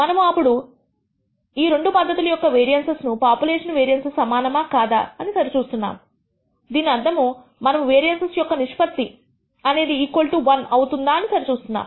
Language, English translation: Telugu, Now, what we want to compare is whether these two variances, population variances, of these two process are equal or not which means the ratio of the variances we want to check whether it is equal to 1 or not